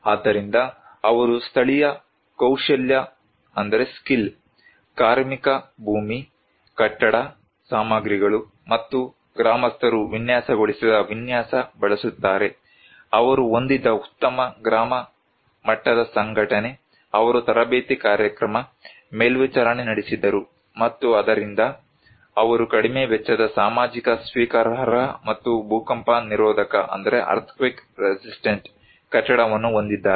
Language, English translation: Kannada, So, they use the local skill, labour, land, building materials and money designed by the villagers, better village level organization they had, they conducted training program, monitoring and therefore they have low cost socially acceptable and earthquake resistant building